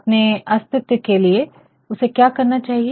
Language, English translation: Hindi, In order to so, his existence what he should do